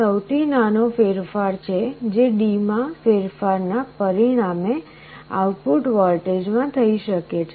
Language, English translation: Gujarati, This is the smallest change that can occur in the output voltage as a result of a change in D